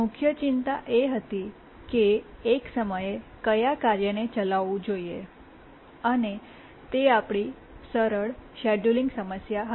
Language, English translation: Gujarati, We were worried which tasks should run at one time and that was our simple scheduling problem